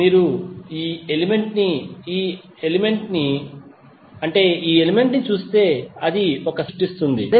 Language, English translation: Telugu, If you see this element, this element and this element it will create one star sub network